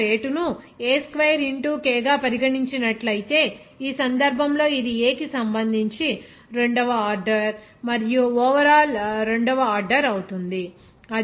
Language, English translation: Telugu, Similarly, if rate is considered as k into A square, in this case it will be second order with respect to A and second order overall